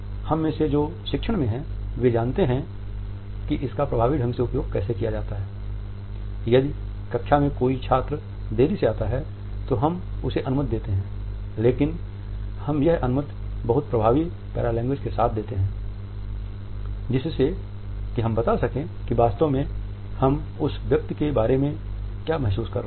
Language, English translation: Hindi, Those of us who are in teaching know how to use it very effectively, if there is a late comer in the class we may allow the late comer, but we would allow it with very effective paralanguage to convey what exactly we feel about that particular person